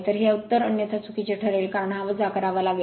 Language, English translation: Marathi, So, this has to be otherwise answer will be wrong you have to subtract this right